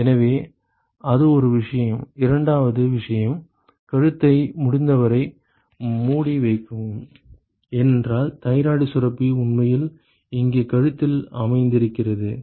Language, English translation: Tamil, So, that is one thing and the second thing is you know cover the cover the neck as for as far as possible because, the thyroid gland is actually sitting in the neck here right